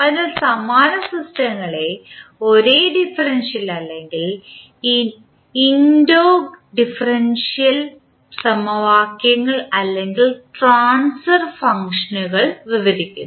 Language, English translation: Malayalam, So, the analogous systems are described by the same differential or maybe integrodifferential equations or the transfer functions